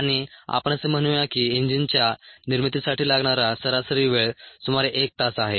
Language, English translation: Marathi, and let us say that the time on the average for the manufacture of an engine is about an hour